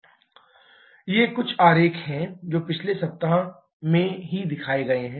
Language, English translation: Hindi, These are some diagrams which have shown in the previous week itself